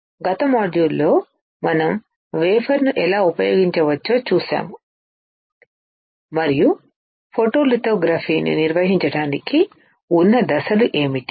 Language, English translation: Telugu, In the last module we have seen how we can use a wafer; and what are the steps to perform photolithography